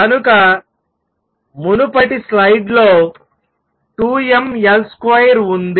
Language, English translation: Telugu, So, the earlier slide, I had in 2 m L square